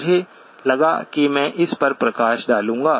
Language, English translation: Hindi, I just thought I would highlight that